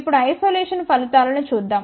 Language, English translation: Telugu, Now, let us see the results for isolation